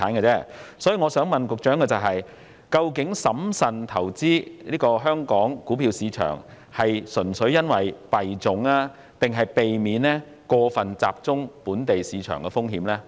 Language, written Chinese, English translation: Cantonese, 因此，我想問局長的是，究竟審慎投資香港股票市場是純粹因為幣種，還是避免過分集中本地市場的風險？, So my question to the Secretary is this When HKMA has been cautious towards investing in the Hong Kong stock market does the reason purely have to do with the types of currency or is it because of the need to avoid the risk of over concentration in the local market?